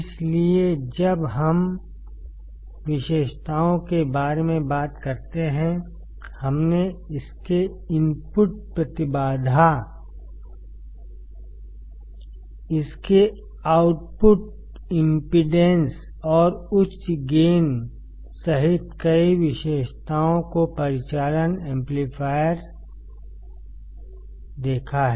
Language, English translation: Hindi, So, when we talk about the characteristics; we have seen several characteristics operational amplifier including its input impedance, its output impedance and high gain